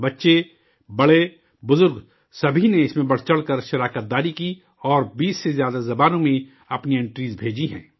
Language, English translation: Urdu, Children, adults and the elderly enthusiastically participated and entries have been sent in more than 20 languages